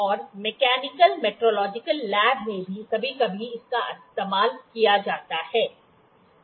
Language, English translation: Hindi, And in mechanical metrological lab it is also used sometimes